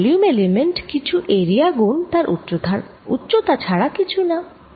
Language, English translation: Bengali, a volume element is nothing but some area times the height